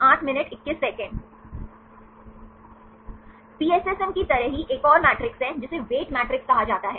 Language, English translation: Hindi, Like the PSSM there is a another matrix, that is called weight matrix